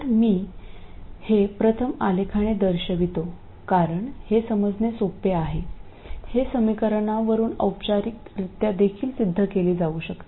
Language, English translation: Marathi, So, I first show this graphically because it is very easy to understand, it can also be proved formally from the equations